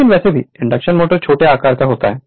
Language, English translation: Hindi, But anyways this is induction motor is a smaller size